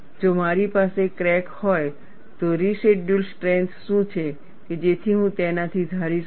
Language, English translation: Gujarati, If I have a crack, what is the residual strength that I could anticipate from it